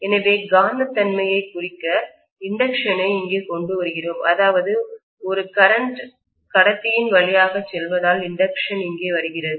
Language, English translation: Tamil, So the inductance comes into picture to represent the magnetism that is taking place or that is coming into picture because of a current passing through a conductor